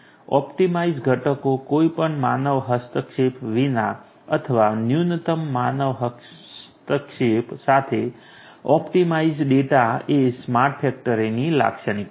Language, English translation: Gujarati, Optimized components optimized data without any human intervention or with minimal human intervention is a characteristic of a smart factory